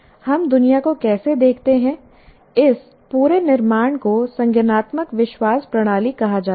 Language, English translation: Hindi, And this total construct of how we see the world is called cognitive belief system, the entire thing